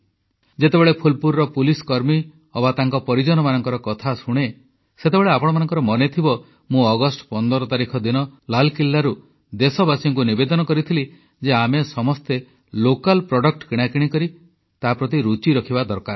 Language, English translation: Odia, Whenever I hear about the police personnel of Phulpur or their families, you will also recollect, that I had urged from the ramparts of Red Fort on the 15th of August, requesting the countrymen to buy local produce preferably